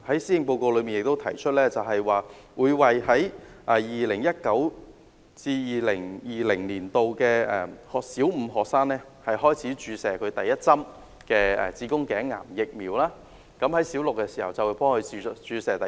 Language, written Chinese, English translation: Cantonese, 施政報告亦提出，會在 2019-2020 學年為小五女學生開始接種第一劑子宮頸癌疫苗，到她們小六時便會接種第二劑。, It is also proposed in the Policy Address that starting from the 2019 - 2020 school year the Government will give the first dose of HPV vaccination to school girls of Primary Five for free while the second dose will be administered when they are in Primary Six